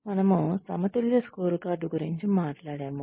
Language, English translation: Telugu, We talked about a balanced scorecard